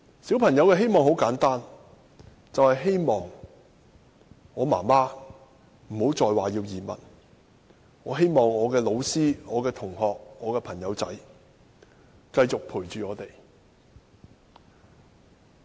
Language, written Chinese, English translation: Cantonese, 小朋友的希望很簡單，便是希望媽媽不再說要移民，希望老師、同學和朋友繼續陪伴我。, The hope of children is very simple . I just hoped that my mother would not talk about emigration anymore that my teachers schoolmates and friends would stay with me